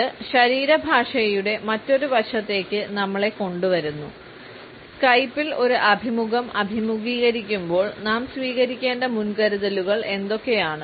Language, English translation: Malayalam, It brings us to another aspect of body language and that is the precautions which we should take while facing an interview on Skype